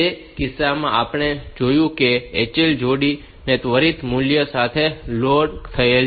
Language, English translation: Gujarati, In that case we have seen that the HL pair is loaded with that immediate value